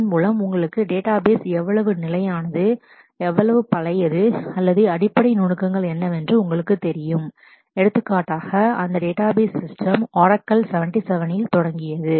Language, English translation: Tamil, So that you know you know how stable, how old or you know what are the basic nuances of that database system for example, Oracle started in 77